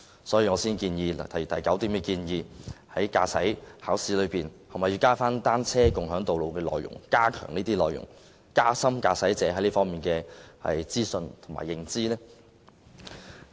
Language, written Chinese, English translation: Cantonese, 所以，我在議案中提出第九點，建議在駕駛考試中加入單車共享道路的內容，以加深駕駛者對這方面的資訊的認知。, For this reason I have raised item 9 in the motion to propose including the content of sharing roads with cyclists in the syllabus of driving tests so as to enhance motorists awareness of the information in this aspect . In closing please allow me to talk about bicycle - sharing